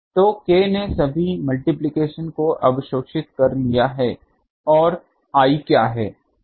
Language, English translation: Hindi, So, K has absorbed all the coefficients and what is I